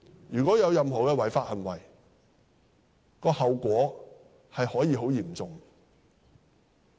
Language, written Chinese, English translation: Cantonese, 如果有任何違法行為，後果可以很嚴重。, Any illegal acts committed by them can lead to grave consequences